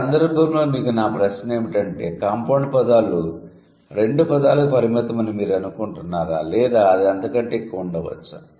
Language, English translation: Telugu, But my question for you would be do you think compound words are limited to two words or it can be more than that